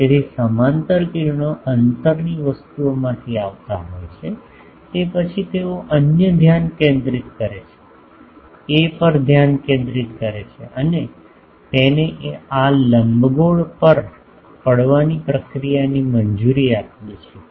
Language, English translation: Gujarati, So, parallel rays are coming from distance things then, they gets focused at the other focus A, we allow that to proceed fall on this ellipsoid